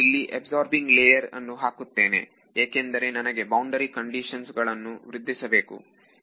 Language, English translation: Kannada, So, I have put an absorbing layer because I wanted to improve boundary conditions very good